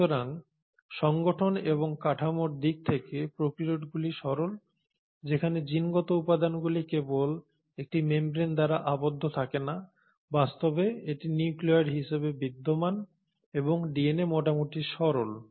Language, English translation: Bengali, So in terms of organisation and structure, the prokaryotes are the simpler ones where the genetic material is not enclosed exclusively by a membrane itself, in fact it exists as a nucleoid body and DNA is fairly simple